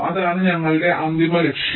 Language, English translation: Malayalam, that is our, that is our final objective